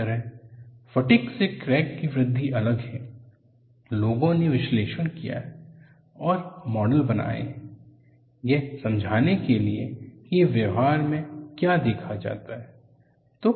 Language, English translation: Hindi, Similarly, a growth of a crack by fatigue is different, people have analyzed and have form models, to explain what is observed in practice